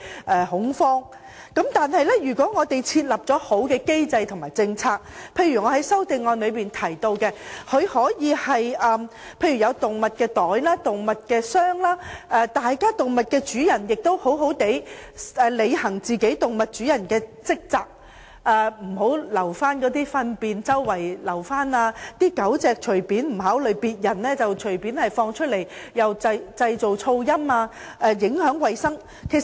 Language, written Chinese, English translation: Cantonese, 但是，如果政府有良好的機制及政策，例如，我在修正案提到寵物袋或寵物箱，動物主人也要好好履行主人的責任，不要隨處遺留動物糞便，不考慮別人的感受，任由狗隻到處奔跑、製造噪音及影響衞生。, However if the Government has put in place a good mechanism and policy such as requiring owners to bring along pets in bags or cases when travelling on public transport as mentioned in my amendment the situation may improve . Animal owners have to properly fulfil their responsibilities as owners they should not leave animal faeces anywhere without considering the feelings of others and they should not let their dogs run loose creating noise and affecting hygiene